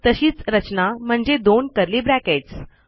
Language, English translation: Marathi, The same structure so two curly brackets